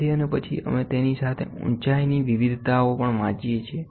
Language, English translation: Gujarati, So, and then we read the variations in the height along